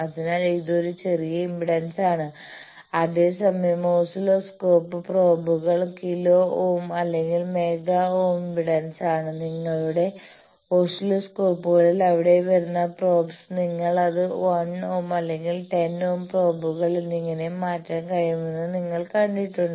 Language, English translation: Malayalam, So, it is a small impedance whereas, oscilloscope probes they are kilo ohm or mega ohms sort of impedance you have seen that in your oscilloscopes the probes that are coming there you can change it to 1 ohm or 10 ohm probes etcetera